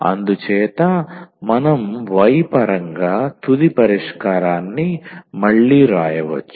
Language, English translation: Telugu, So, we can write down final solution again in terms of y